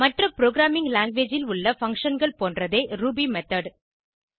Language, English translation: Tamil, Ruby method is very similar to functions in any other programming language